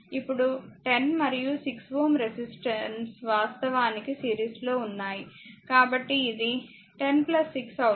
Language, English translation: Telugu, Now 10 and 6 ohm actually there in series; so, it will be 10 plus 16